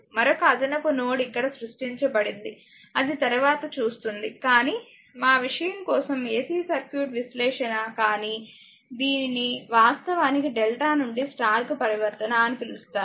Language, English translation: Telugu, One another additional node is created here n right that we will see later right ah, but for our this thing AC circuit analysis, but your; what you call this is your delta to star transformation, this is actually delta to star transformation